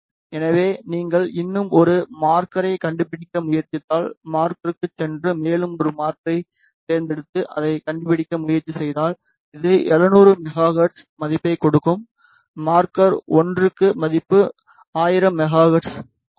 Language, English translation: Tamil, So, if you just try to locate one more marker go to marker then select one more marker and then just try to locate it this give the value 700 megahertz and for marker 1 maybe give value 1000 megahertz